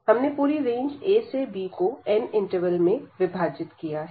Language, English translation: Hindi, So, we have divided the whole range a to b into n intervals